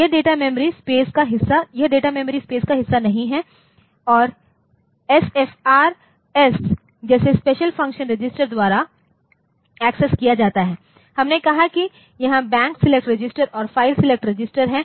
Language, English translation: Hindi, So, that is not part of data memory space and this is accessed by special function registers that SFRS, we said that there are the Banks select registers and file select register